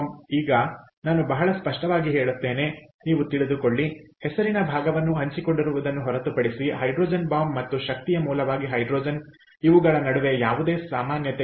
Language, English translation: Kannada, apart from apart from just, ah, you know, sharing part of the name hydrogen bomb and hydrogen as an energy source has nothing in common